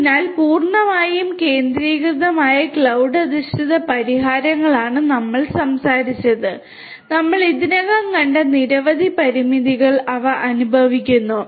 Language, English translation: Malayalam, So, entirely centralized cloud based solutions are the ones that we talked about and they suffer from many limitations which we have already seen